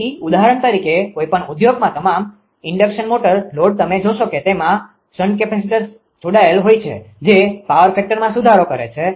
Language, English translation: Gujarati, So, for example, any industry all the induction motor load you will find the shunt capacitors are connected across that across that power factor can be improved